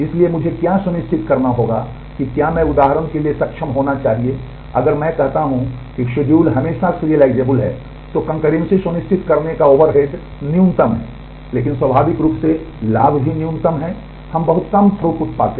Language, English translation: Hindi, So, what will I have to be ensured is I should able to for example, if I say that the the schedules are always serial then the overhead of ensuring concurrency is the minimum, but naturally the benefit is also minimum, we get a very poor throughput